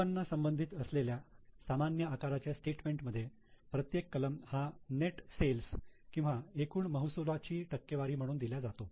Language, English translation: Marathi, In common size statement on income statement, each item is expressed as a percentage of net sales or the total revenue